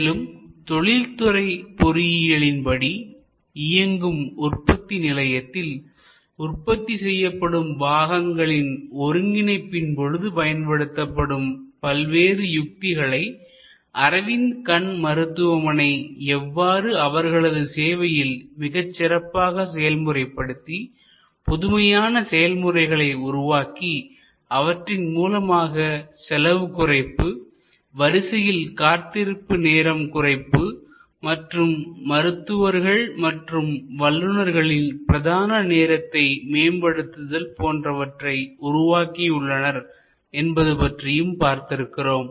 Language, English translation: Tamil, We showed that how Aravind Eye Care has used different best practices from manufacturing assembly line from techniques used in industrial engineering in manufacturing and have applied those models, those principles, those best practices in creating innovative processes, which vastly reduces cost, manages the waiting time and the queue time at a minimum level and optimizes the prime time of the doctors and the experts